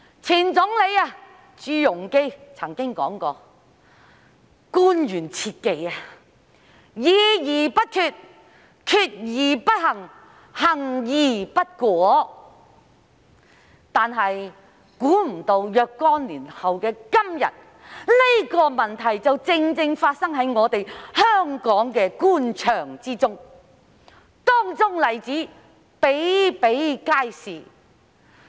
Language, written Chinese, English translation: Cantonese, 前總理朱鎔基曾經說過，官員切忌"議而不決，決而不行，行而不果"，但想不到若干年後的今天，這情況正正發生在香港官場，當中例子比比皆是。, The former Premier ZHU Rongji once said that government officials should always refrain from deliberation without decision decision without implementation and implementation without effect . Yet unexpectedly after some years this situation rightly occurs in the Government in Hong Kong today . Examples of these are in abundance